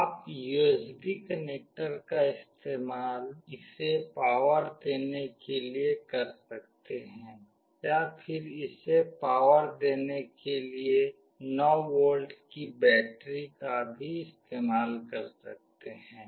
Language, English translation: Hindi, You can use the USB connector to power it, or you can also use a 9 volt battery to power it